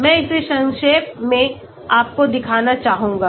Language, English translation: Hindi, I would like to briefly show it to you